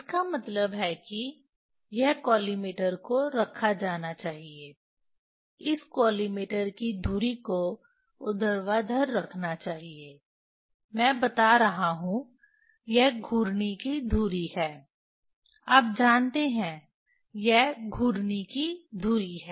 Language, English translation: Hindi, that means, this collimator should be kept, collimator axis this vertical I am telling this is the it is the axis of rotation you know axis of axis of rotation